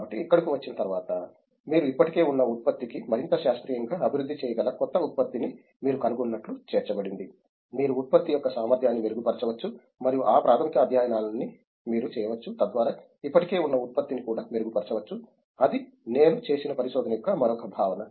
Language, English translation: Telugu, So when, after coming here, so it’s more it’s included that you invent a new product on top of that you can develop more scientifically for the existing product also, you can improve the efficiency of the product, and all these basic studies you can do so that the existing product can also be improved, that’s that’s another prospective of research what I have seen